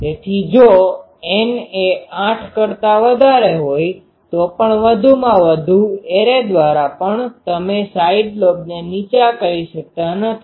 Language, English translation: Gujarati, So, if N is greater than 8 then even if you go on pumping more and more arrays you cannot put the side lobe down